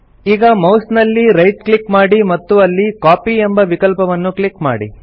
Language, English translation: Kannada, Now right click on the mouse and click on the Copy option